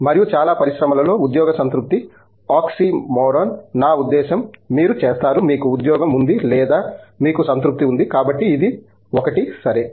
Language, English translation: Telugu, And, job satisfaction on the whole in most industry is the oxymoron, I mean you either do, you either have a job or you have a satisfaction, so it is one of the, OK